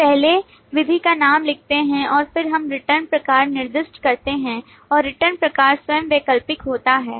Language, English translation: Hindi, We first write the method name and then we specify the return type and the return type itself is optional